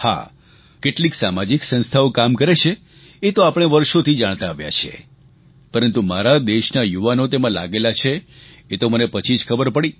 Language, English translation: Gujarati, Some social institutions have been involved in this activity for many years was common knowledge, but the youth of my country are engaged in this task, I only came to know later